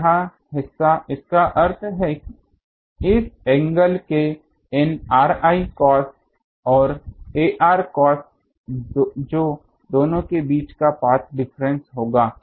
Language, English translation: Hindi, So, this part; that means, cos of these ar r i cos of this angle that will be the path difference between the two, ok